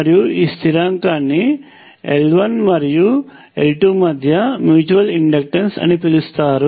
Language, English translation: Telugu, And this constant is known as the mutual inductance between L 1 and l 2